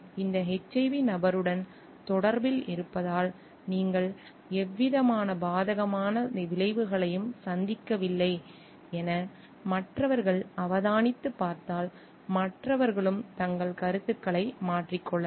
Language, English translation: Tamil, And if the others observe and see like you have not faced with any adverse consequences due to being in contact with this HIV person maybe others are going to change their views also